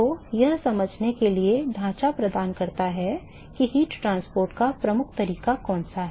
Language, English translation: Hindi, So, that is provides the framework for understanding which one is the dominating mode of heat transport ok